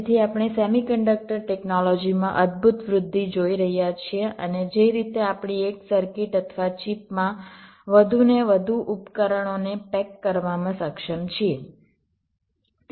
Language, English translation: Gujarati, so we are seeing a fantastic growth in the semi conducted technology and the way we are able to pack more and more devices in a single circuit or a chip